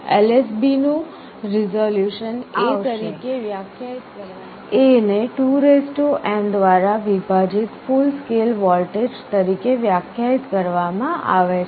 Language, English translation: Gujarati, The resolution of the LSB will be defined as A, A is the full scale voltage divided by 2n